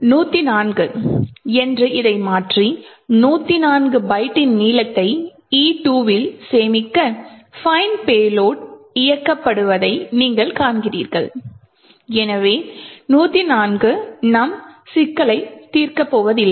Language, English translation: Tamil, If I change this to say 104, run the fine payload, store the length of E2 of 104 byte is in E2 and run it you see that it works so 104 is not going to solve our problem